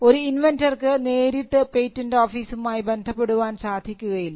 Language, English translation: Malayalam, So, it is not that an inventor cannot directly deal with the patent office